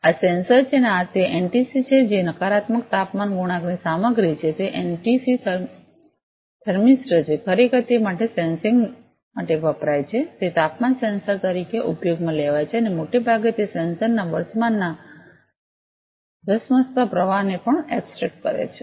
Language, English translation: Gujarati, This is sensor and this is the NTC that is an negative temperature coefficient material it is a NTC thermistor actually used for sensing for it is for used as a temperature sensor and mostly it also abstract the in rush flow of current to the sensor